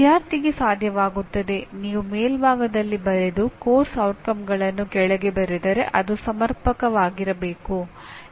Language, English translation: Kannada, Student should be able to if you write at the top and write below the course outcomes that should be adequate